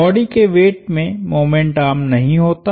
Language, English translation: Hindi, The weight of the body does not have a moment arm